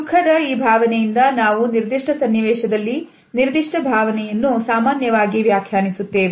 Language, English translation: Kannada, By this emotion of sadness we normally interpret a particular emotion within a given context